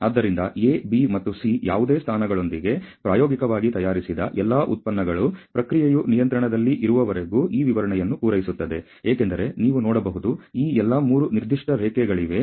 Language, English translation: Kannada, So, with any of the positions A B and C practically all the products manufactured will meet this specification as long as the process stays in control, because you can see there all these 3 within the specification lines